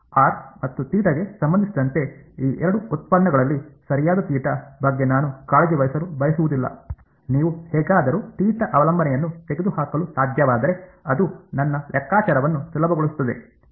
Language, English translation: Kannada, I do not want to care about theta that is the right idea right out of these two derivatives with respect to r and theta if you can somehow remove the theta dependence it would make my calculation easier